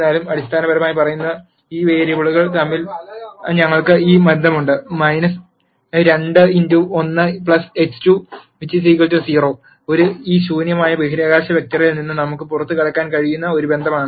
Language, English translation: Malayalam, Nonetheless we have a relationship between these variables which is basically saying minus 2 x 1 plus x 2 equal to 0 is a relationship that we can get out of this null space vector